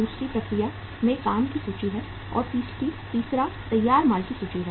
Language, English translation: Hindi, Second is inventory of work in process, and third is the inventory of finished goods